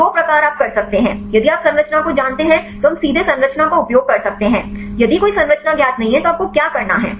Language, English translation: Hindi, So, two types you can do if you know the structure we can directly use the structure; if a structure is not known then what you have to do